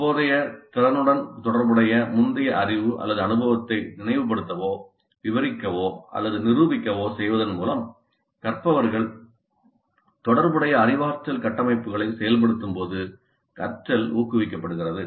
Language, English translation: Tamil, Learning is promoted when learners activate a relevant cognitive structures by being directed to recall, describe or demonstrate the prior knowledge or experience that is relevant to the current competency